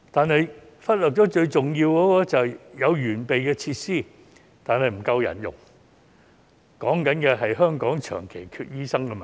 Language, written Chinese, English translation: Cantonese, 不過，政府忽略了最重要的問題，就是有完備的設施，但沒有足夠人手，即香港長期缺乏醫生的問題。, However the Government has neglected the major problem and that is despite the perfect facilities there is a long - standing shortage of doctors in Hong Kong